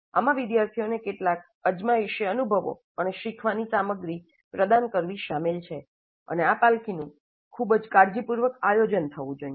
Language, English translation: Gujarati, This will include providing certain trial experiences and learning materials to the students and this scaffolding must be planned again very carefully